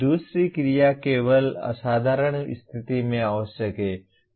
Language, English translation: Hindi, Second action verb is necessary only in exceptional condition